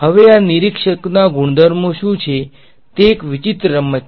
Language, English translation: Gujarati, Now, what are the properties of these observers it is a strange game